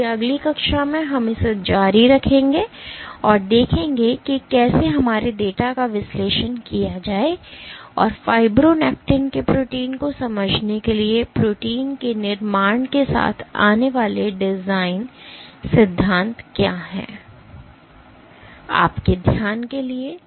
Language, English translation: Hindi, So, in the next class we will continue with this and see how to analyze our data and what are the design principles associated with coming up with protein constructs for understanding the protein unfolding of fibronectin